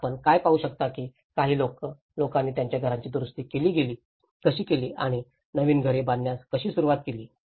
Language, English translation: Marathi, So what you can see like how some people have started repairing their houses and building the new houses